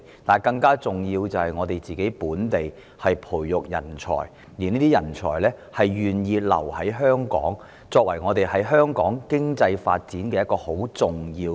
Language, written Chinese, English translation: Cantonese, 但更重要的是，我們要培育本地人才，並令這些人才願意留在香港，推動香港的經濟發展。, But more importantly we have to nurture local talent and make such talent willing to stay in Hong Kong to drive the local economic development